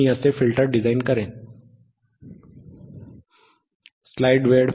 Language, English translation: Marathi, I will design a filter like this